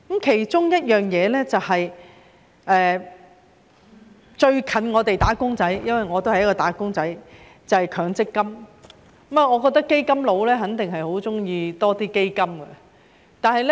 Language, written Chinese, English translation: Cantonese, 其中一樣最接近我們"打工仔"的——我也是一名"打工仔"——便是強制性公積金，我覺得"基金佬"肯定十分喜歡設立更多基金。, A fund which is the most closely related to wage earners like us―I am also a wage earner―is the Mandatory Provident Fund MPF . I think that fund managers definitely welcome the establishment of more funds